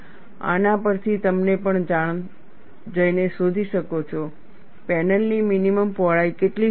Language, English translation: Gujarati, From this, you could also go and find out, what could be the minimum panel width